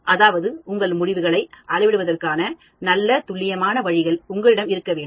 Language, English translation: Tamil, That means, you should have good, accurate ways of measuring your results